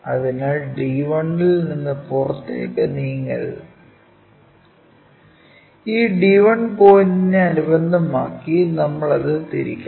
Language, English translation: Malayalam, So, one should not move out of d 1, about this d 1 point we have to rotate it